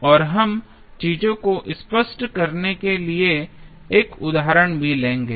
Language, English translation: Hindi, And we will also take 1 example to make the things clear